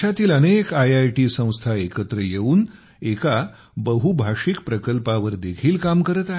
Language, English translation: Marathi, Several IITs are also working together on a multilingual project that makes learning local languages easier